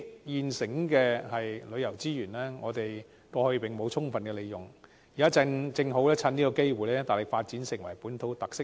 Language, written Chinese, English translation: Cantonese, 我們過去沒有充分利用這些現成的旅遊資源，現在正好趁這機會大力發展本土特色遊。, In the past we have not well utilized these readily available tourism resources and now we should take this opportunity to vigorously develop tours with local characteristics